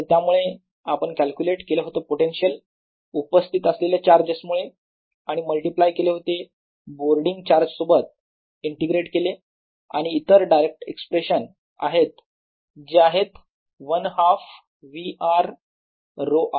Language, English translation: Marathi, and therefore we did calculator the potential due to the existing charge and multiply by the floating charge integrated and the other directs expression, which is one half v r o r